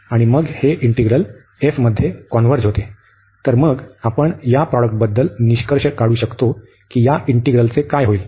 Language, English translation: Marathi, And then these integral over f converges, so then we can conclude about this product as well that what will happen to to this integral